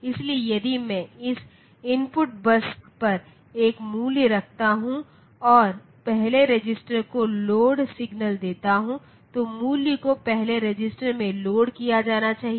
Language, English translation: Hindi, So, if I put a value on to this input bus and give load signal to the first register, then the value should be loaded into the first register